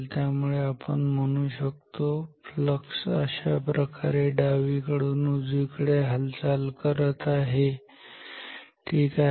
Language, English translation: Marathi, So, as if these downwards flux is moving from left to right ok